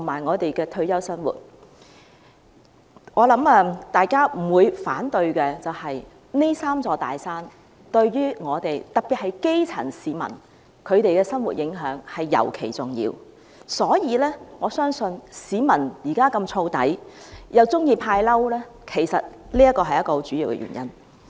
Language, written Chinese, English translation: Cantonese, 我想大家不會反對，這"三座大山"對於我們——特別是基層市民——的生活影響尤其重要，故此我相信市民現時那麼暴躁，又喜歡"派嬲"，其實這是很主要的原因。, I bet all of us will not take exception to the fact that these three big mountains have a great impact on our life especially that of the grass roots . Therefore I believe this is actually the main reason for members of the public to be so irritable and their frequent giving of the angry emoji nowadays